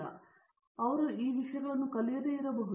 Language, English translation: Kannada, So, they might not have learnt these things